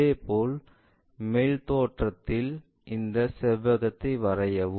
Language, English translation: Tamil, Similarly, in thetop view draw this rectangle